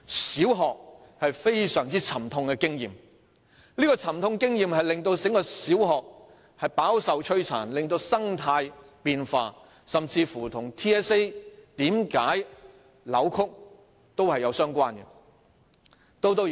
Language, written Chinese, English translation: Cantonese, 小學有非常沉痛的經驗，這沉痛的經驗令小學飽受摧殘，令生態發生變化，這亦與 TSA 為何出現扭曲有關。, Primary schools have had very painful experience . Such painful experience has tortured primary schools and caused changes to the ecology . This is also related to why distortions have emerged in TSA